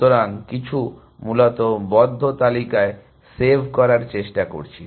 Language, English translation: Bengali, trying to save on the close list essentially